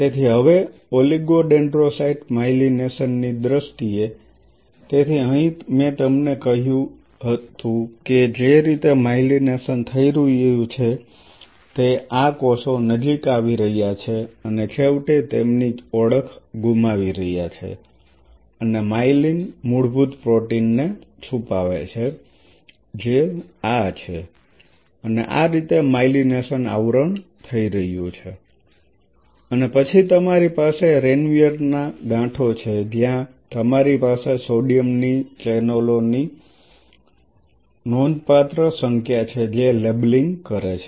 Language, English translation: Gujarati, So, now in terms of the oligodendrocyte myelination, so here I told you the way the myelination is happening these cells are coming close and eventually losing their identity and secreting myelin basic protein which is this one and this is how the myelination coverage is happening and then you have the nodes of Ranvier where you have a significant population of sodium channels which are labeling